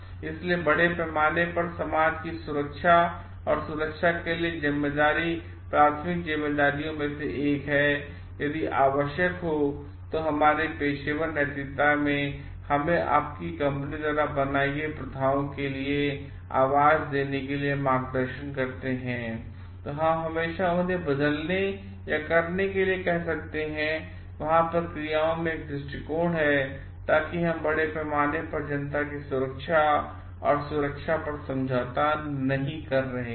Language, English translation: Hindi, So, the responsibility towards the safety and security of the society at large is one of the primary responsibility and if required, our professional ethics guides us to voice for the like practices done by your company and we can always ask to them to change or have a relook into there processes, so that we are not compromising on the safety and security of the public at large